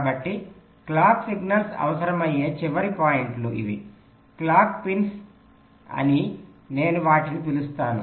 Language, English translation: Telugu, so these are the final points where the clock signals are required, the clock pins, i call them